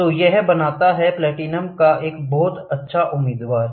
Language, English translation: Hindi, So, this makes platinum a very good candidate